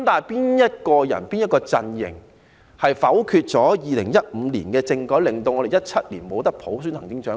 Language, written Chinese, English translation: Cantonese, 然而，是誰和哪個陣營否決了2015年的政改方案，令我們不能在2017年普選行政長官？, Nevertheless who and which camp voted against the constitutional reform package in 2015 such that we could not select the Chief Executive by universal suffrage in 2017?